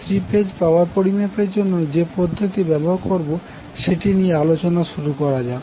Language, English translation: Bengali, Let us discuss the techniques which we will use for the measurement of three phase power